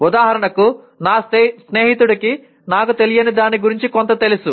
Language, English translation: Telugu, For example my friend knows something about what I do not know